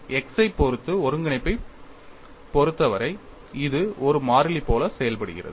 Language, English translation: Tamil, As far as integration with respect to x is concerned, this behaves like a constant